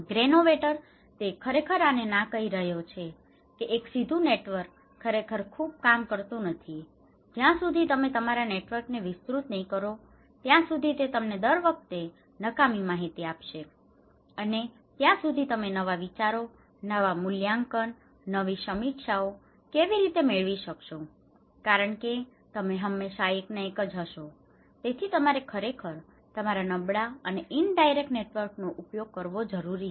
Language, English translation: Gujarati, Granovetter; he is saying no actually, a direct networks they do not really work much, this actually give you redundant informations, same informations again and again because you are not expanding your networks, unless you expand your networks how you can get new ideas, new evaluation, new reviews because you are always in the same one so, you need to actually collect, use your weak networks, indirect networks